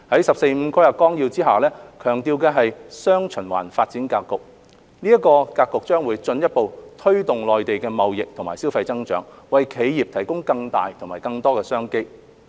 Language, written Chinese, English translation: Cantonese, 《十四五規劃綱要》下強調的"雙循環"發展格局將進一步推動內地的貿易及消費增長，為企業提供更大和更多的商機。, The development pattern featuring dual circulation highlighted in the 14th Five - Year Plan will further drive the growth of trade and consumption in the Mainland providing greater and more business opportunities for enterprises